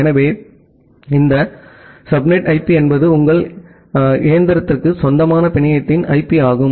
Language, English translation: Tamil, So, this subnet IP is the IP of the network on which your machine belongs to